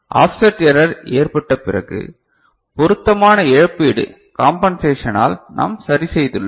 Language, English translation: Tamil, So, after offset error was there, so we have corrected by appropriate compensation right